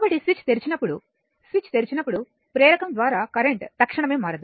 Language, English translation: Telugu, So, when the switch is your what you call when the switch is opened current through the inductor cannot change instantaneously